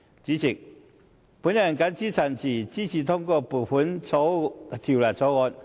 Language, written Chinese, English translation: Cantonese, 主席，我謹此陳辭，支持通過《2018年撥款條例草案》。, With these remarks Chairman I support the passage of the Appropriation Bill 2018